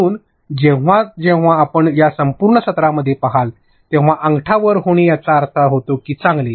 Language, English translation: Marathi, So, whenever you see throughout this entire session, a thumps up it means good